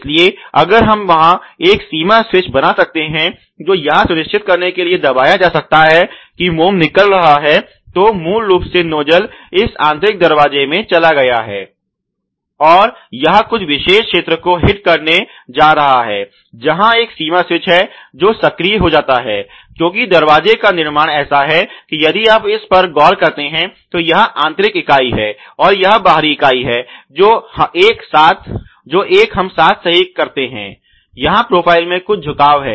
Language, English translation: Hindi, So, if we can make a limit switch there which can be pressed to ensure that the wax is coming out, so basically the nozzle has gone into this inner door and it is going to hit some particular region, where there is a limit switch which gets you know actuated because you know obviously, the construction of the door is such that the if you at look at this is the inner member and this is the outer member they together hem right, so there is some kind of bending of the profile